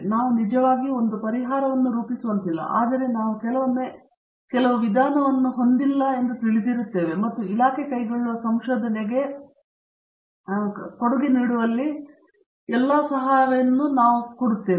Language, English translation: Kannada, It may not be that we really form a solution but, we even sometimes know that is certain approach cannot be had and I would say that all these help in contributing towards a research that the department undertakes